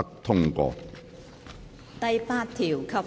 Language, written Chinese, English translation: Cantonese, 第8條及附表。, Clause 8 and Schedule